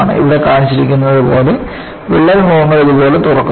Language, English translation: Malayalam, And, what is shown here is the crack faces open up like this